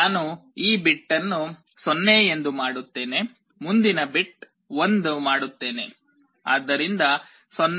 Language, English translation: Kannada, I make this bit as 0, I make the next bit 1: so 0 1 0 0